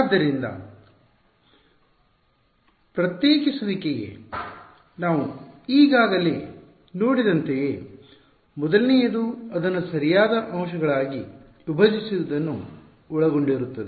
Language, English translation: Kannada, So, for discretization the first thing that we have to that we have already seen as discretization involves splitting it into elements right